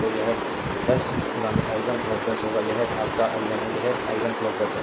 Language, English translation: Hindi, So, it will be 10 into i 1 plus 10 , this is your i 1 this is i 1 plus 10 , right